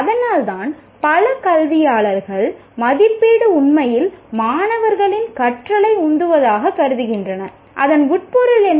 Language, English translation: Tamil, And that's why many educationists consider assessment really drives student learning